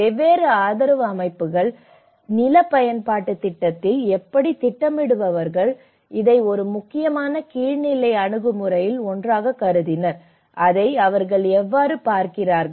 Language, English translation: Tamil, So, how different support systems, how at a land use planning how a planners also considered this as one of the important bottom level approach and how they look at it